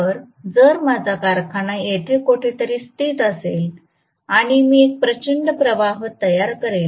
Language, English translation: Marathi, So, if my factory is located somewhere here and I am going to draw a huge current right